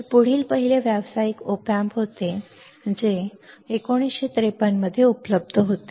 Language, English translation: Marathi, So, in the next one was first commercial op amp which was available in 1953